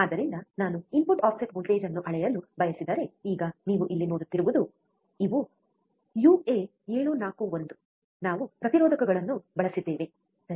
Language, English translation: Kannada, So, if I want to measure the input offset voltage, now you see here these are uA741, we have used resistors, right